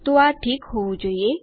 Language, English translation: Gujarati, So that should be fine